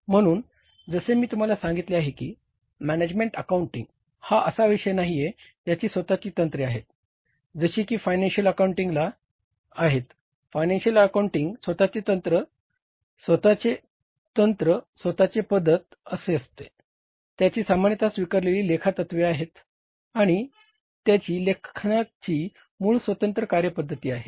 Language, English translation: Marathi, So, as I told you that management accounting itself is not a subject which has its own techniques